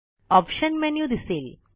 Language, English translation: Marathi, The Options menu appears